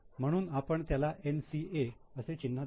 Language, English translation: Marathi, So, we will mark it as NCA